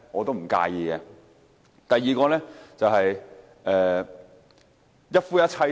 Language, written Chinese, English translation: Cantonese, 第二點，是關於一夫一妻制。, The second point concerns the monogamy system